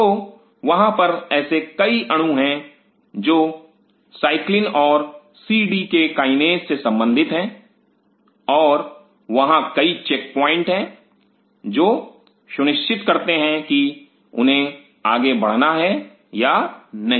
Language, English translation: Hindi, So, there are several such molecules which are dealing with its cyclins and cdk kinases and there are several check points, which ensures whether they are going to go further or not